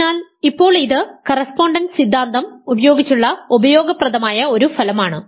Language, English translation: Malayalam, So, now, this is a useful result using the correspondence theorem